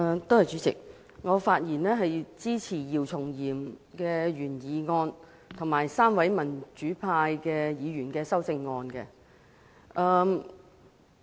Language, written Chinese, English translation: Cantonese, 代理主席，我發言支持姚松炎議員的原議案，以及3位民主派議員的修正案。, Deputy President I speak in support of the original motion moved by Dr YIU Chung - yim and the amendments proposed by the three pro - democracy Members